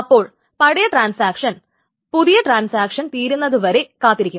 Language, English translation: Malayalam, So then the older transaction simply waits for the young one to finish